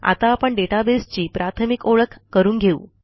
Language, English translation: Marathi, Let us now learn about some basics of databases